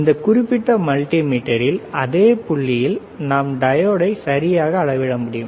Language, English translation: Tamil, And in this particular multimeter, same point we can measure diode all right